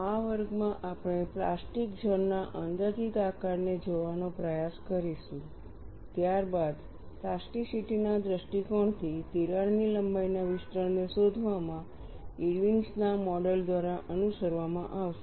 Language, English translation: Gujarati, In this class, we will try to look at the approximate shape of plastic zone, followed by Irwin's model in finding out the extension of crack length from the plasticity point of view